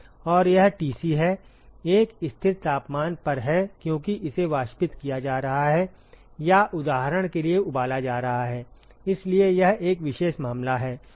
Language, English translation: Hindi, And this is the Tc, is at a constant temperature because it is being evaporated or being boiled for example, so that is a special case